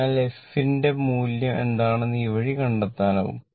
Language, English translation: Malayalam, So, this way you can find out what is the value of the f right